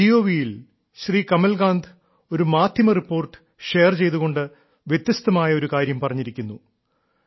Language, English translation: Malayalam, On MyGov app, Kamalakant ji has shared a media report which states something different